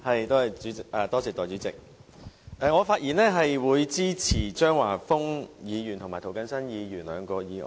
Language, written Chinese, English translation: Cantonese, 代理主席，我發言支持張華峰議員和涂謹申議員兩項議案。, Deputy President I rise to speak in support of the two motions proposed by Mr Christopher CHEUNG and Mr James TO